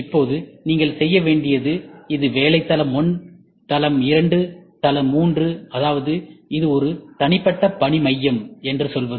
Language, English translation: Tamil, Now, all you have to do is this is shop floor 1, floor 2, floor 3 that means to say it is an individual work centre